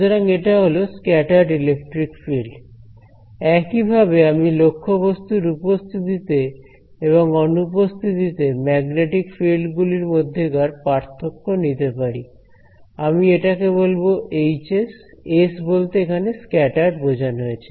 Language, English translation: Bengali, So, that is what is the scattered electric field, similarly I can take the difference in the magnetic field with and without object and difference I will call as the Hs, s for scattered right we call this scattered